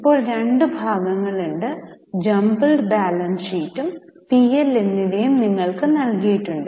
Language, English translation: Malayalam, Now there are two parts both the jumbled balance sheet and P&L has been given to you